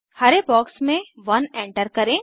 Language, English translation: Hindi, Enter 1 in the green box